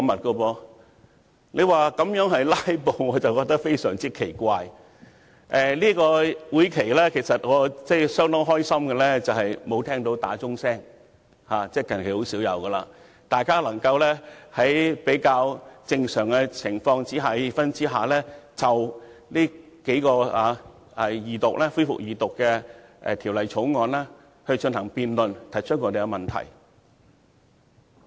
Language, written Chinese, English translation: Cantonese, 就這次會議而言，令我相當高興的是沒有聽到傳召鐘響起——其實近來已很少聽到傳召鐘響起——以致議員能夠在比較正常的氣氛下，就3項恢復二讀辯論的法案進行辯論和提出問題。, As far as this meeting is concerned I am very pleased that we did not hear the summoning bell ring―in fact we have seldom heard the summoning bell ring recently―so that Members were able to debate and raise questions about the three bills which had their Second Reading debates resumed in a relatively normal atmosphere